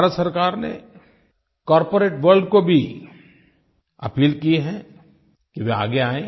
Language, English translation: Hindi, Government of India has also appealed to the corporate world to come forward in this endeavour